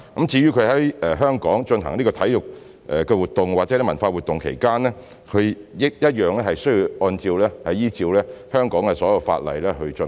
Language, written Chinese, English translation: Cantonese, 至於他們在香港進行體育活動或文化活動，同樣需要依照香港的所有法例來進行。, The sports or cultural activities to be held by them in Hong Kong will likewise have to comply with all laws of Hong Kong